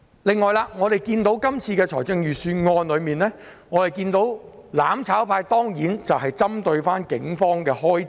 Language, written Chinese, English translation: Cantonese, 此外，對於這份預算案，我們看到"攬炒派"當然不斷針對警方的開支。, Regarding this Budget the mutual destruction camp of course keeps targeting the expenditures of the Police